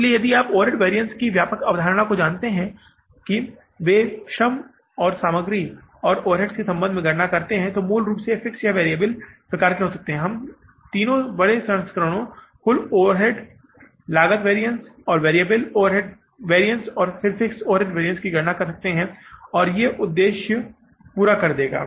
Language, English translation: Hindi, So, if you know the broader concept of the overhead variances that they are calculated in relation to the material labor and overheads are basically of the fixed or the variable type and we can calculate the three larger variances total overhead cost variance and the variable overhead variance and then the fixed overhead variance that will serve our purpose